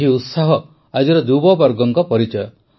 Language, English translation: Odia, This zest is the hallmark of today's youth